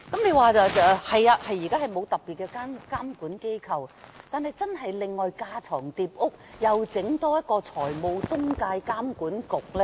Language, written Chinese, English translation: Cantonese, 現時確實沒有特別的監管機構，但是否要架床疊屋，另外成立一個財務中介監管局呢？, It is true that there is no regulatory body at present yet would it be superfluous if a financial intermediary authority is set up?